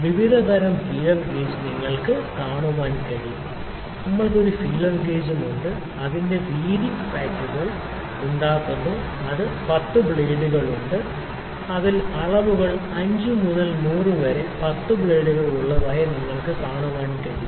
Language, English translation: Malayalam, The various kinds of feeler gauge is you can see, we also having a feeler gauge which is width packs make width packs is there and it is having 10 blades in it, you can see the dimensions in it is having 10 blades from 5 by 100 to 80 by 100 mm